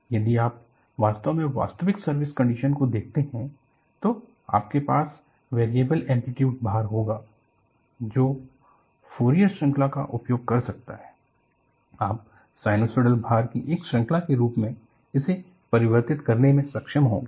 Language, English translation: Hindi, If you really go to actual service condition, you will have variable amplitude loading, which could be using Fourier series; you will be able to convert at that, as a series of sinusoidal loading